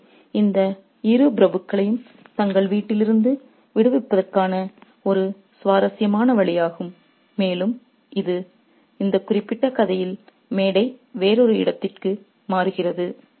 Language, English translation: Tamil, So, it's a interesting way of getting rid of both these aristocrats from their home and the stage shifts to another location in this particular story